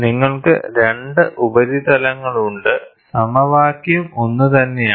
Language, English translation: Malayalam, So, you have 2 surfaces, the formula is the same